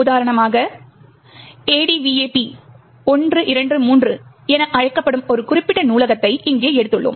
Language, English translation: Tamil, Let us take for example one particular library over here which is known as the ADVAP123